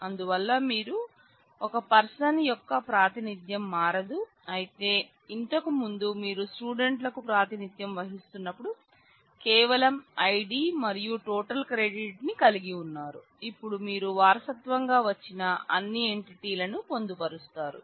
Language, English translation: Telugu, So, when you the representation of person does not change, but when you represent student now earlier you are just having ID and total credit; now in you include all entities that are inherited